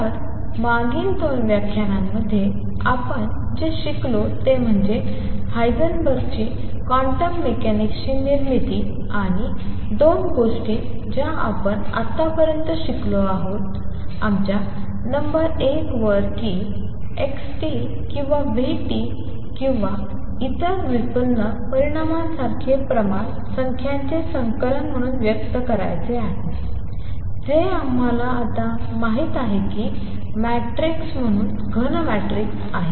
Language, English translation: Marathi, So, what we have learnt in the previous 2 lectures is the Heisenberg’s formulation of quantum mechanics and 2 things that we have learned so far our number one that quantities like xt or vt or other derived quantities are to be expressed as a collection of numbers, which we now know are matrices solid as matrices